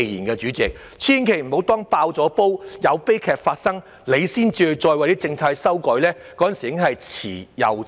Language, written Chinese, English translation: Cantonese, 代理主席，千萬不要待"爆煲"、有悲劇發生後，才為政策作修改，屆時已是遲之又遲。, Deputy President the Government should never wait till another tragedy resulting from an explosion of pent - up pressure to revise its policies . It will be all too late then